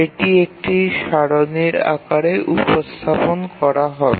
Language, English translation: Bengali, So we can represent that in the form of a table